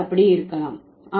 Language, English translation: Tamil, Is it possible in the languages